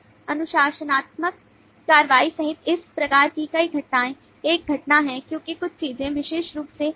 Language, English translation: Hindi, so several these kinds of events, including disciplinary action, is an event because certain things specifically is done